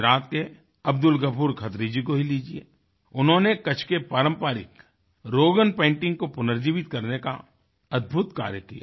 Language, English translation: Hindi, Take the case of Abdul Ghafoor Khatri of Gujarat, whohas done an amazing job of reviving the traditional Rogan painting form of Kutch